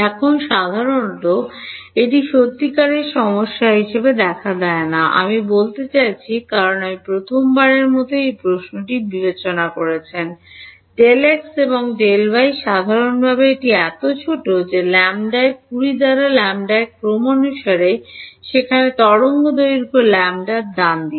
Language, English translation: Bengali, Now, typically this turns out to not be a real issue, I mean because you are seeing it for the first time this question comes up the discretizations delta x and delta y typically they are so small, there on the order of lambda by 10 lambda by 20, where the wavelength is lambda right